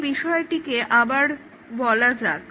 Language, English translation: Bengali, Let me repeat that again